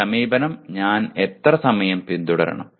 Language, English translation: Malayalam, How much time should I follow this approach